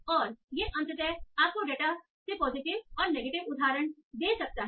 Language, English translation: Hindi, And this can finally give you positive and negative examples from the data